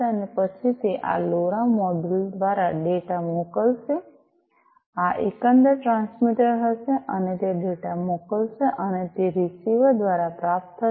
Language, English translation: Gujarati, And then it will through this LoRa module it is going to send the data, this will be the overall transmitter and it is going to send the data, and it will be received by the receiver